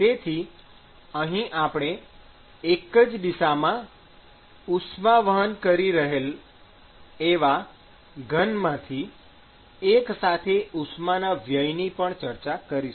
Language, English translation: Gujarati, So, here we are going to account for simultaneous loss of heat from the solid which is actually conducting heat in one direction